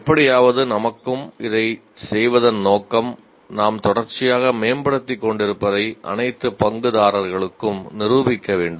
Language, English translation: Tamil, And the purpose of doing this to somehow to prove to our selves and to all the stakeholders that we are continuously improving